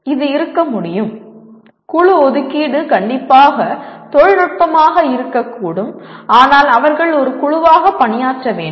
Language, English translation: Tamil, This can be, group assignment could be strictly technical and yet they have to work as a team